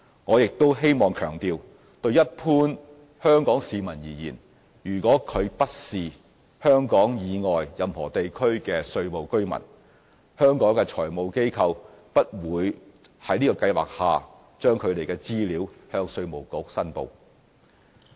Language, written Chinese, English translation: Cantonese, 我亦希望強調，就一般香港市民而言，如果他不是香港以外任何地區的稅務居民，香港的財務機構不會在這計劃下將他們的資料向稅務局申報。, I also wish to emphasize that as far as ordinary Hong Kong citizens are concerned if they are not tax residents of any jurisdictions outside Hong Kong Hong Kong FIs will not report their information to IRD under this regime